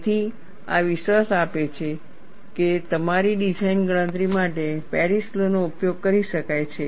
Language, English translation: Gujarati, So, this gives a confidence that Paris law could be utilized for your design calculation